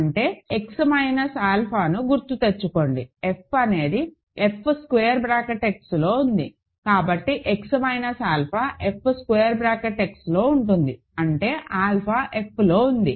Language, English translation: Telugu, So that means, remember X minus alpha, f is in F X so, X minus alpha is in F x; that means, alpha is in F